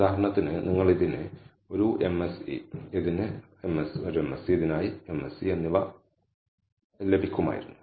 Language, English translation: Malayalam, for example, you would have got a MSE for this, MSE for this, MSE for this